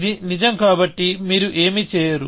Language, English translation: Telugu, It is true so, you do not do anything